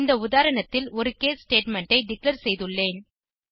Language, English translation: Tamil, I have declared an case statement in this example